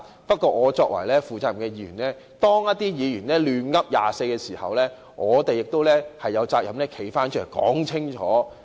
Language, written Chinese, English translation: Cantonese, 不過，作為負責任的議員，當一些議員"亂噏"時，我們亦有責任站起來說清楚。, However being responsible Members we are obliged to rise and clarify the truth whenever there are some other Members talking nonsense